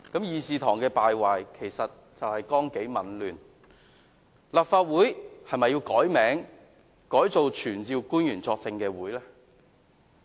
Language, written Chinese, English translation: Cantonese, 議事堂的敗壞，就是由於綱紀紊亂，立法會是否要改名為"傳召官員作證會"呢？, The decline of the Council is due to disorder in discipline . Should the Legislative Council be renamed as the Council for Summoning Officials to Testify?